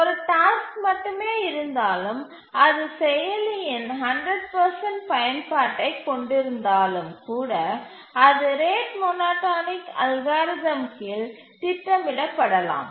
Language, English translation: Tamil, So, if only one task is there, then even if it has 100% utilization of the processor, still it can be schedulable under the rate monotonic algorithm